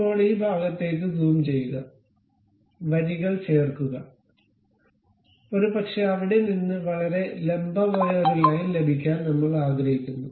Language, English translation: Malayalam, Now, zoom into this portion, add lines, perhaps we would like to have a very vertical line from there to there, done